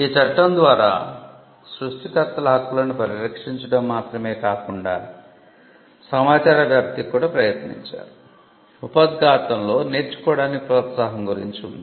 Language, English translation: Telugu, Not only was concerned with protecting the rights of the creators, but it was also tried to the dissemination of information, the preamble mentioned the encouragement of learning